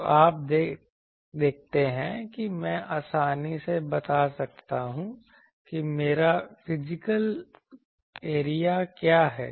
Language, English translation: Hindi, So, now you see I can easily tell that what is my physical area